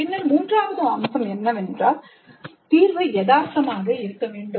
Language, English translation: Tamil, Then the third feature is that the solution must be realistic